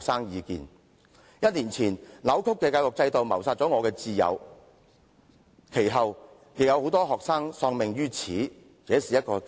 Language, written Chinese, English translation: Cantonese, "一年前，這個扭曲的教育制度謀殺了我的摰友，其後也陸續有學生因此而喪命。, A year ago my dearest friend was murdered by this distorted system . Subsequently some students followed suit one after another thus sounding an alarm to the education system